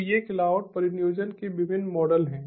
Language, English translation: Hindi, so these are the different models of cloud deployment